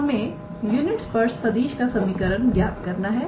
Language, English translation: Hindi, We have to find the equation of a unit tangent vector